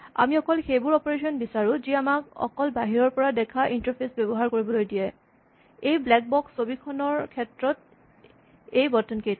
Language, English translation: Assamese, So we do not want such operations, we only want those operations which the externally visible interface or the buttons in this case of the black box picture allow us to use